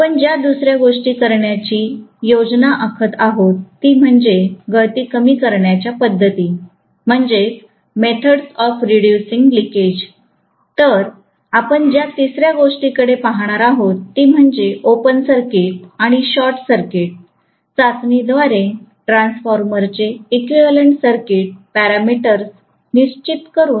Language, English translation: Marathi, The second thing what we are planning to do is methods of reducing leakage, then the third thing that we are going to look at is determining the equivalent circuit parameters of the transformer by open circuit and short circuit test